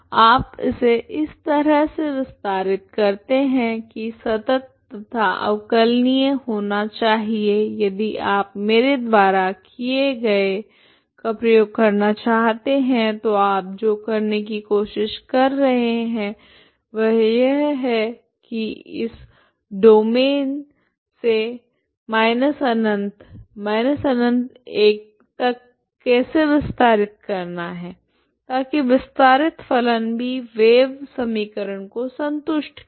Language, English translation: Hindi, You extend it in such a way that it is continuous like this ok it is also differentiable because it has to be if you want to make use what you do, what you are trying to do is idea is to extend from extend this domain from zero to infinity to minus infinity to infinity so that the extended functions will also satisfy wave equation